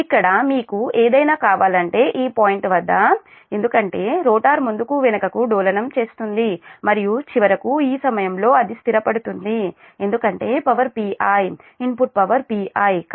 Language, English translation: Telugu, if you want here something, i mean this point, this point, this point, it will, because rotor will oscillate back and forth and finally it will be settled at this point because power watt, p i, input power worth, p i